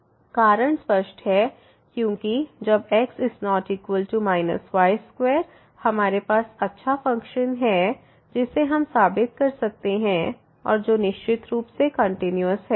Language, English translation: Hindi, The reason is clear, because when is not equal to we have this nice function and which is certainly continuous we can prove that